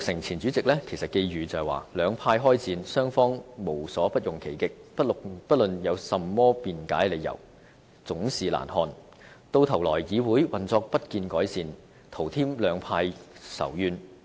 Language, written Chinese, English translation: Cantonese, 前主席曾鈺成寄語"兩派開戰，雙方無所不用其極，不論有甚麼辯解理由，總是難看；到頭來議會運作不見改善，徒添兩派仇怨。, Former President Jasper TSANG has said Irrespective of how justifiable the reasons are it is just nasty to see the two camps engaging in a war of words with both parties using every means to win over . In the end the war can hardly improve the operation of the Council but only intensify the hostility between the two parties